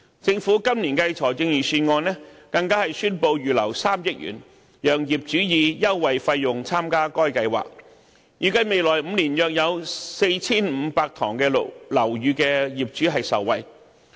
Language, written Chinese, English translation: Cantonese, 政府今年的財政預案更宣布預留3億元，讓業主以優惠費用參加該計劃，預計未來5年約有 4,500 幢樓宇的業主受惠。, The Government announced in the Budget this year that 300 million was earmarked for enabling owners to enjoy the services at a discount . It is expected that owners of about 4 500 buildings will benefit from it in the next five years